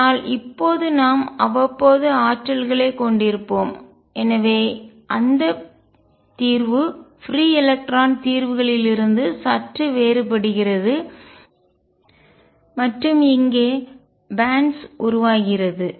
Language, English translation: Tamil, But now we will have periodic potentials there, and therefore that solution differs slightly from the free electron solutions and gives rise to bands